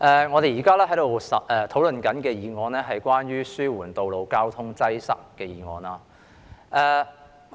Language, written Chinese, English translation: Cantonese, 我們現正討論"紓緩道路交通擠塞"的議案。, We are now discussing the motion on Alleviating road traffic congestion